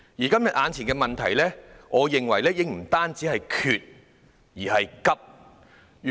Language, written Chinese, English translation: Cantonese, 今天眼前的問題，我認為已不單是短缺，而且是緊急。, The imminent problem in my opinion is not only the shortage but also the urgency